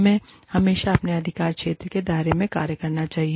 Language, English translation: Hindi, We should always act, within the purview of our jurisdiction